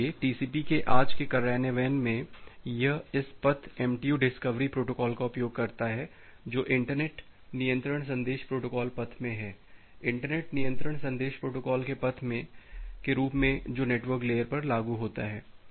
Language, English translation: Hindi, So, today’s implementation of TCP, it uses this path MTU discovery a protocol which is there in the internet control message protocol path, as a path of the internet control message protocol which is implemented at the network layer